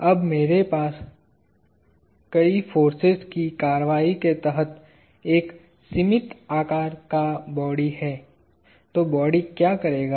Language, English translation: Hindi, Now, if I have a finite sized body under the action of multiple forces, what would the body do